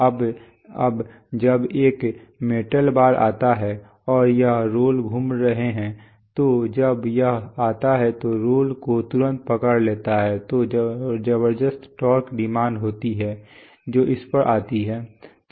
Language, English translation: Hindi, Now the, now when a metal bar comes and the here are the roles rotating so when it comes and grips, grips the role immediately there is a tremendous torque demand which comes on this